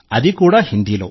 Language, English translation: Telugu, And that too in Hindi